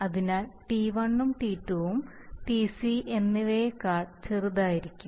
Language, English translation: Malayalam, So Tc is going to be smaller than t1 and t2